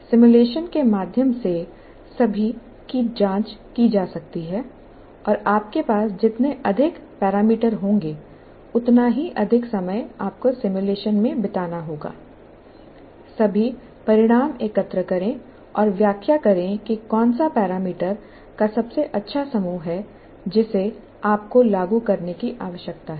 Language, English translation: Hindi, And the more number of parameters that you have, the more time you have to spend in simulation and collect all the results and interpret which is the best set of parameters that you need to implement